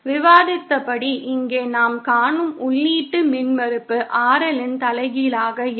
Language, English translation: Tamil, As discussed, the input impedance that we will see here will be the inverse of RL